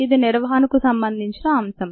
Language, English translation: Telugu, this is the concept of maintenance